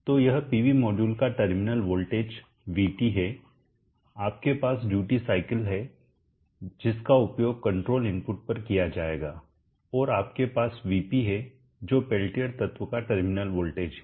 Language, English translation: Hindi, So this is Vt terminal voltage of the PV module, you have the duty cycle which will be used on the control input, and you have Vp, the terminal voltage of the peltier element